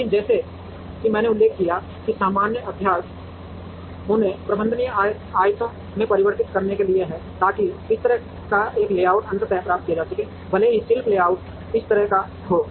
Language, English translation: Hindi, But, as I mentioned common practice is to convert them into manageable rectangles, so that a layout like this can be finally achieved even though the craft layout is like this